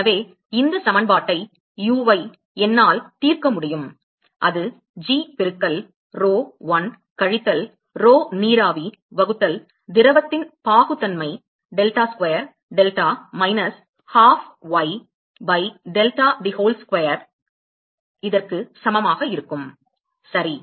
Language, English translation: Tamil, So, I can solve this equation uy, that is equal to g into rho l minus rho vapor divided by the viscosity of the liquid delta square delta minus half y by delta the whole square ok